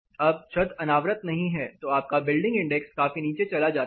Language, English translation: Hindi, Now, the roof is not exposed then your building index drastically drops down